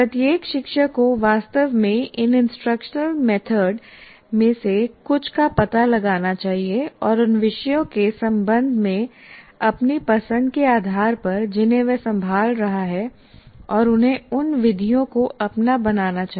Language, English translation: Hindi, Now what one should say every teacher should actually explore some of these instruction methods and based on his preference with regard to the subjects is handling, he should make those methods his own